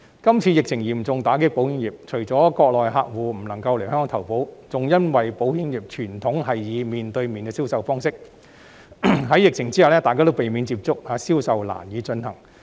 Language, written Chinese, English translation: Cantonese, 這次疫情嚴重打擊保險業，除了國內客戶不能來港投保，亦因為保險業的傳統是以面對面方式進行銷售，但疫情下大家避免有接觸，致令銷售難以進行。, The current pandemic has dealt a severe blow to the insurance industry . Not only that Mainland customers are unable to come and take out insurance in Hong Kong; against the background that sales in the insurance industry are traditionally conducted with a face - to - face approach sales are difficult to come by when people avoid contact with each other amidst the pandemic